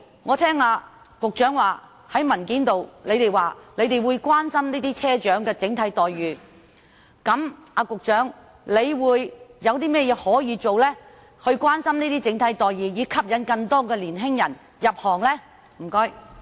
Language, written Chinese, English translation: Cantonese, 我聽到局長在答覆中說會關心車長的整體待遇，因此我想問局長有甚麼可以做，以關心車長的整體待遇，從而吸引更多年青人入行呢？, As I heard the Secretary say in his reply that the Government cares for the overall well - being of bus captains may I ask what the Secretary can do to care for the overall well - being of bus captains so as to attract more young people to become bus captains?